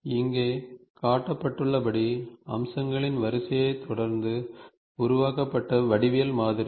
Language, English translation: Tamil, A geometric modeling created following the sequence of features as shown here